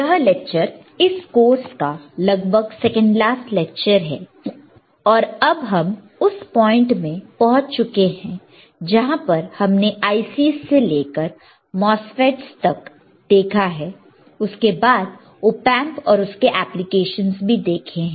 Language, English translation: Hindi, This lecture is somewhere in the second last lecture of this particular course and we have reached to the point that we have seen somewhere from ICS to MOSFETS followed by the op amps and their application